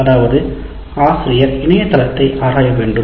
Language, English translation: Tamil, That means the teacher can explore on the net